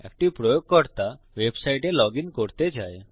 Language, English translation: Bengali, Say a user wants to login into a website